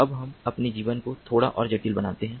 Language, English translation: Hindi, now let us make our life little bit more complicated